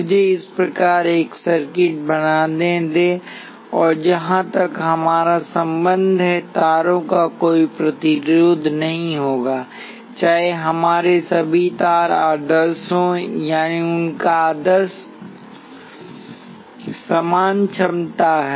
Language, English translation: Hindi, Let me draw a circuit of this type and as far as we are concerned now, the wires will have no resistance whatsoever; all our wires are ideal; that means, that their ideal equal potential and so on